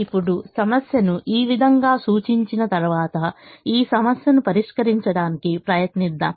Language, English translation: Telugu, now, having represented the problem this way, let us try to solve this problem